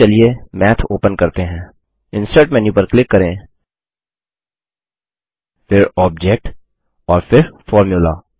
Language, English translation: Hindi, Now let us call Math by clicking Insert menu, then Object and then Formula